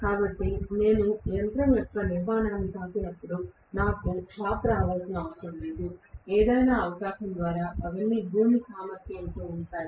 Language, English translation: Telugu, So, I do not have to get a shock when I touch the body of the machine, by any chance, all of them will be at ground potential